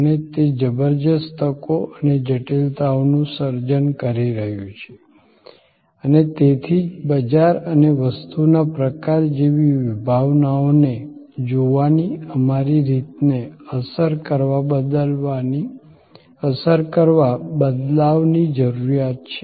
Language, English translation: Gujarati, And that is creating tremendous opportunities as well as tremendous critical complexities and that is what, therefore necessitates the change to impact our way of looking at concepts like market and product categories